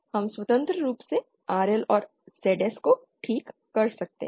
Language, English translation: Hindi, So we can independently fix RL and ZS